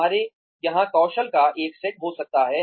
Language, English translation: Hindi, We may have a set of skills here